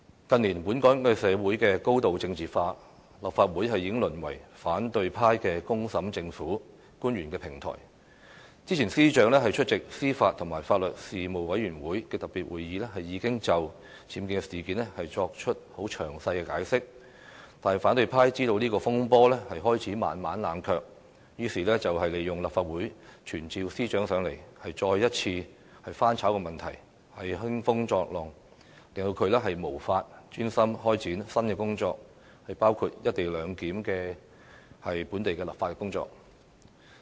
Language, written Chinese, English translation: Cantonese, 近年，本港社會高度政治化，立法會已淪為反對派"公審"政府、官員的平台，早前司長出席司法及法律事務委員會特別會議，已就僭建事件作出詳細解釋，但反對派知道這個風波開始慢慢冷卻，於是利用立法會傳召司長，再次翻炒問題，興風作浪，令她無法專心開展新的工作，包括"一地兩檢"的本地立法工作。, Hong Kong society has been highly politicized in recent years and the Legislative Council has degenerated into a platform for the opposition to put the Government and officials on public trial . Earlier the Secretary for Justice attended a special meeting of the Panel on Administration of Justice and Legal Services to give a detailed account of the UBWs incident . Noting that the controversy had started to cool down the opposition took advantage of the Council to summon the Secretary for Justice in an attempt to hype the issue again and stir up troubles so that she would not be able to focus on her new tasks including the local legislative exercise for the co - location arrangement